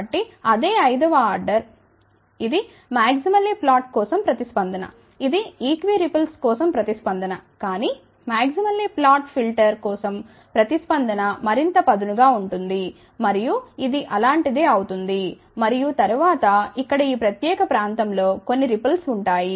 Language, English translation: Telugu, So, suppose so, the same fifth order this is the response for maximally flat, this is the response for equi ripple , but for elliptic filter the response will be even sharper and that will be something like this and then there will be some ripples in this particular region here